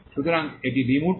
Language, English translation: Bengali, So, this is the abstract